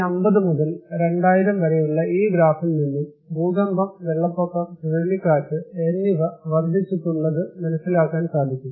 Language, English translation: Malayalam, You can see this graph also that is showing that how earthquake, flood, windstorm is increasing from 1950 to 2000